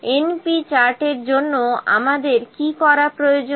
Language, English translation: Bengali, For the np chart what we need to do